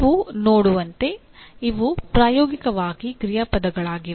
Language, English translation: Kannada, As you can see these are practically you can say action verbs